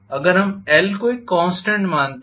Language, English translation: Hindi, If we consider L to be a constant probably